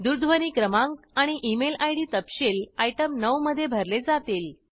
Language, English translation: Marathi, Telephone Number and Email ID details are to be filled in item 9